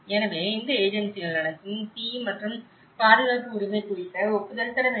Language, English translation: Tamil, So, all these agencies has to approve, fire and safety right